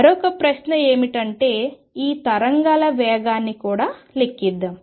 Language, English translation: Telugu, The other question is let us also calculate the speed of these waves